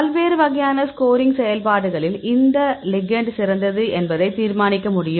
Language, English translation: Tamil, So, different types of scoring functions you can decide which ligand is the best